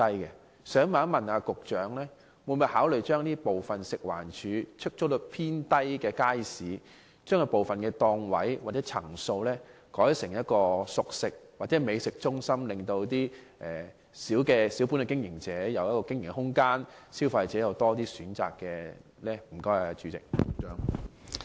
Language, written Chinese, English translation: Cantonese, 我想問局長，會否考慮把出租率偏低的街市的部分檔位或層數改建成熟食或美食中心，給予小本經營者經營空間，並給予消費者更多選擇？, I would like to ask the Secretary whether the authorities will consider conversing some stalls or floors of the markets with a low occupancy rate into cooked food centres or food courts thereby giving some opportunities to small business operators and providing consumers with more choices